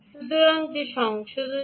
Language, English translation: Bengali, so that correction was required